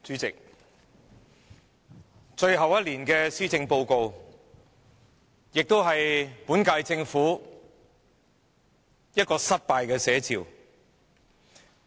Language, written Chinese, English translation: Cantonese, 代理主席，這份最後一年的施政報告也是本屆政府的失敗寫照。, Deputy President this last Policy Address of the incumbent Government is an apt depiction of its failure